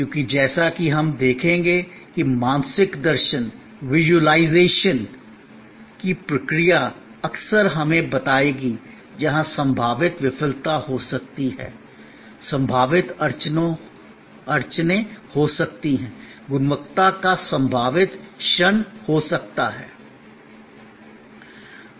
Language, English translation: Hindi, Because, as we will see that process of visualization will often tell us, where the possible failure can be, possible bottlenecks can be, possible degradation of quality can occur